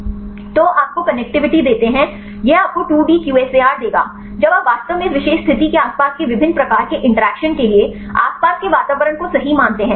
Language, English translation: Hindi, So, you give you the connectivity this will give you 2D QSAR, when you consider the surrounding environment right for actually different types of interactions surrounding that particular position